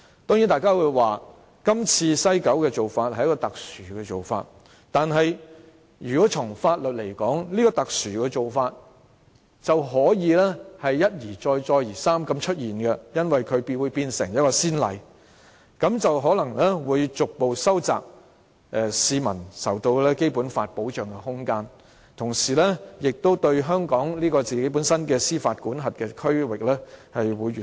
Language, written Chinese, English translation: Cantonese, 當然，大家會說，今次西九龍口岸區的做法是特殊做法，但如果從法律來說，這種特殊做法便可以一而再，再而三地出現，因為這做法會成為先例，這樣可能會逐步收窄市民受到《基本法》保障的空間，同時令香港本身的司法管轄區域越縮越小。, Of course Members may say that this arrangement to be implemented in the port area at WKS is an extraordinary measure . But from the legal point of view this extraordinary measure can be adopted over and over again because a precedent has been set in which case the scope of protection provided to the public by the Basic Law may be gradually narrowed and the area of Hong Kongs jurisdiction will be ever shrinking